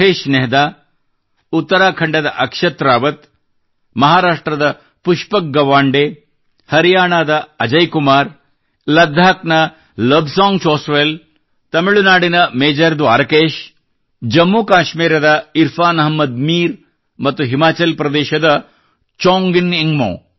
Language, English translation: Kannada, The names of these brave Divyangs are Mahesh Nehra, Akshat Rawat of Uttarakhand, Pushpak Gawande of Maharashtra, Ajay Kumar of Haryana, Lobsang Chospel of Ladakh, Major Dwarkesh of Tamil Nadu, Irfan Ahmed Mir of Jammu and Kashmir and Chongjin Ingmo of Himachal Pradesh